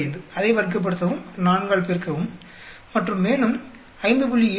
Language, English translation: Tamil, 45, square it up, multiply by 4 and then 5